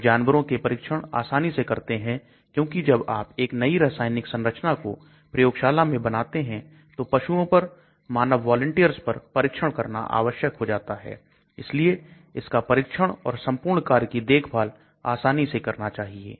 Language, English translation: Hindi, Then the ease of animal trials because once the new chemical entity is established in the lab the trials have to be done on animals then in human volunteers so it should be easy to perform these trials and monitor the entire operation